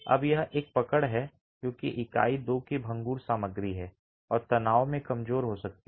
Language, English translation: Hindi, Now that's a catch because unit is the brittle material of the two and could be weak in tension